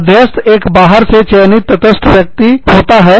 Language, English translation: Hindi, An arbitrator is a neutral person, selected from outside